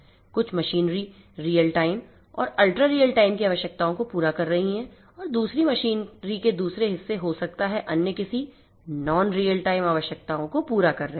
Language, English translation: Hindi, Some machinery might be catering to real time ultra real time requirements whereas, other parts of the other machinery and other parts of the system then other parts of the network might be catering to other non real time requirements and so on